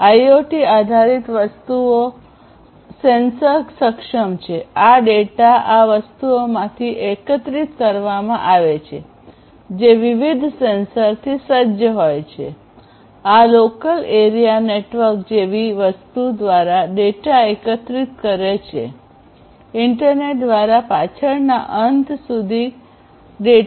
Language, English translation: Gujarati, So, IoT based things sensor enabled; this data that are collected from these the things which are fitted with different sensors, these will then transmit that collected data through something like a local area network; then sent that data further through the internet to the back end